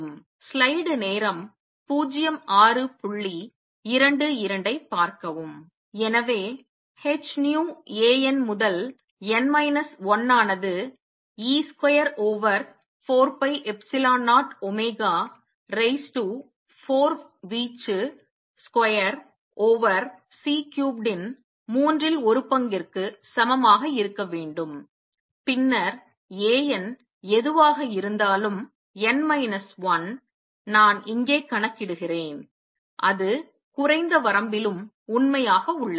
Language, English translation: Tamil, So, h nu A n to n minus 1 should be equal to 1 third e square over 4 pi epsilon 0 omega raise to 4 amplitude square over C cubed and then hopefully whatever a n, n minus 1, I calculate here that will to true in the lower limit also